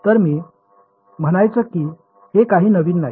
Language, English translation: Marathi, So, I mean yeah this is not new